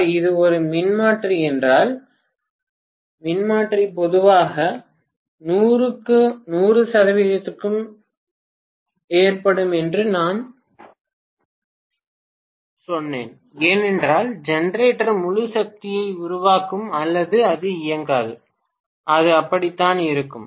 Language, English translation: Tamil, See, if it is a power transformer I told you that power transformer normally is loaded to 100 percent all the time because the generator will generate full power or it will not be commissioned at all, that is how it will be